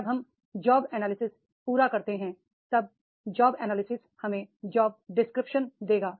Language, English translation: Hindi, When we complete the job analysis then job analysis will give us the job description that will describe the job